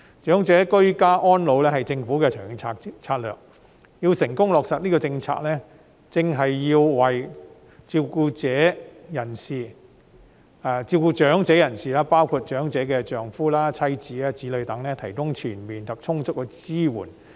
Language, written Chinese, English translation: Cantonese, 長者居家安老是政府的長遠策略，要成功落實這個政策，正是要為照顧長者的人士，包括其丈夫、妻子、子女等提供全面及充足的支援。, Enabling the elderly to age in place is the Governments long - term strategy . To successfully implement this policy it should provide comprehensive and adequate support for those caring for elderly persons including their husbands wives and children